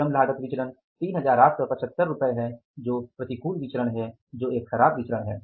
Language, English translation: Hindi, Labor cost variance is 3,875 which is unfavorable variance which is adverse various